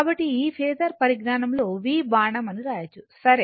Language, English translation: Telugu, So, this one we can write in phasor notation say v arrow ok